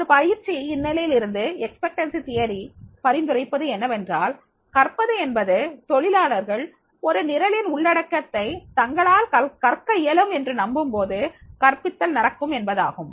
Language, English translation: Tamil, From a training perspective, expectancy theory suggests that learning is most likely to occur when employees believe they can learn the content of the program, right